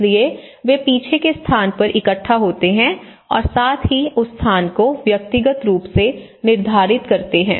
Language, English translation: Hindi, So, they gather at the rear space and at the same time they have their personal demarcation of their space